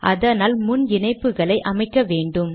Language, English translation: Tamil, Connection settings have to be set first